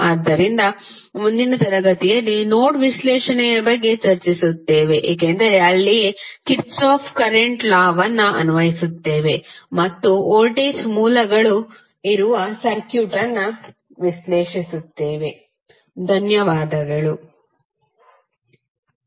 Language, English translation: Kannada, So, in the next class we will discuss about the node analysis because that is where we will apply our Kirchhoff Current Law and analyze the circuit where voltage sources are there, thank you